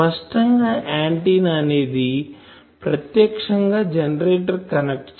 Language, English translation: Telugu, But obviously, the generator cannot directly connect to the antenna